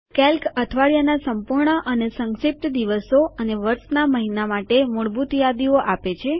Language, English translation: Gujarati, Calc provides default lists for the full and abbreviated days of the week and the months of the year